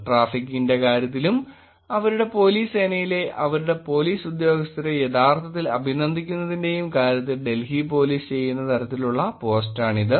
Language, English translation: Malayalam, This is the kind of post that the Delhi police also does in terms of traffic, in terms of actually appreciation of their police force, their police officers